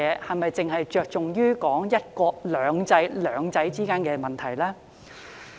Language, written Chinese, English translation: Cantonese, 我們是否只側重於"一國兩制"中的"兩制"呢？, Are we as far as the principle of one country two systems is concerned focusing on two systems only?